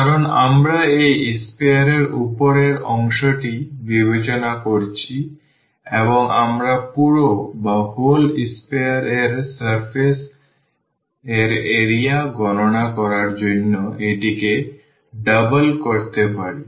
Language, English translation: Bengali, Because, we are considering the upper part of this sphere and we can make it the double to compute the surface area of the whole sphere